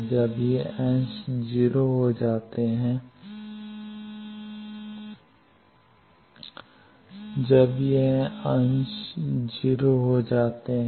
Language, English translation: Hindi, When these portions become 0, when those positions become 0